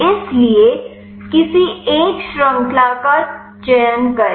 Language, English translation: Hindi, So, select any one chain